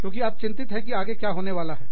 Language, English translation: Hindi, Because, you are so worried about, what is going to happen, next